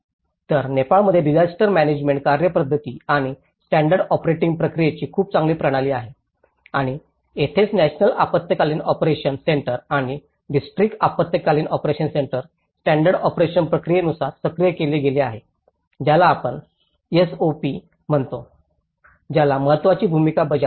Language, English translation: Marathi, So, the Nepal has a very good system of the disaster management procedures and the standard operating procedures and this is where the National Emergency Operation Center and the District Emergency Operation Centers have been activated as per the standard operation procedures, which is we call SOP which plays an important role